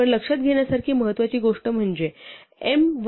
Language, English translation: Marathi, But the important thing to note is that m minus n is also a multiple of d